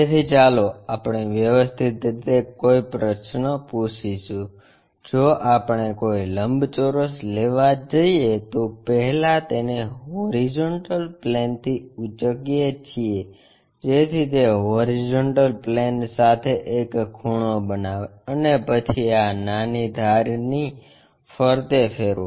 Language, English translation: Gujarati, So, let us ask a question, systematically, if we are going to take a rectangle first lift it up from the horizontal plane, so that it makes an angle with the horizontal plane, then rotate around this small edge